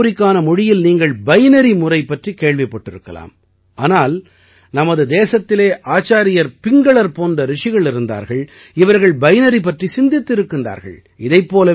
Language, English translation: Tamil, You must have also heard about the binary system in the language of computer, butDo you know that in our country there were sages like Acharya Pingala, who postulated the binary